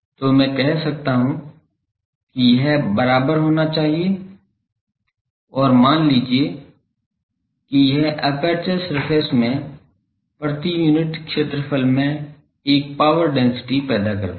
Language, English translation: Hindi, So, I can say that this should be equal to and for that suppose it produces a power density per unit area in the aperture surface